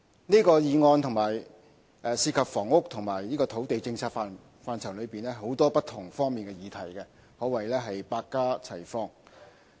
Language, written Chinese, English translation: Cantonese, 這項議案涉及房屋及土地政策範疇內很多不同方面的議題，可謂百花齊放。, This motion concerns different subjects regarding policies on housing and land and covers a variety of issues